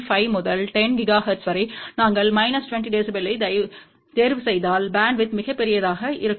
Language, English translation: Tamil, 5 to 10 gigahertz of course, if we choose minus 20 dB then bandwidth will be much larger ok